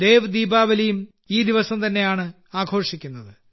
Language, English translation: Malayalam, 'DevDeepawali' is also celebrated on this day